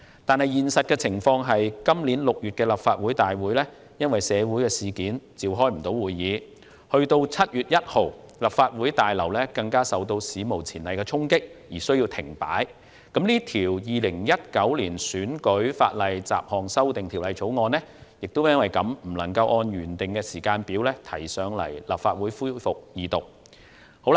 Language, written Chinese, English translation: Cantonese, 但現實情況是，今年6月立法會因社會事件而未能召開會議 ，7 月1日立法會大樓更受到史無前例的衝擊，立法會從而需要停擺。因此，《條例草案》不能按照原訂時間表提交立法會恢復二讀。, But the reality is that the Legislative Council failed to convene meetings in June this year due to social incidents . On 1 July the Legislative Council Complex was unprecedentedly stormed and the Legislative Council had to cease operation; thus the Bill could not be submitted to the Legislative Council for Second Reading as originally scheduled